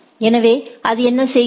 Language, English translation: Tamil, So, what it does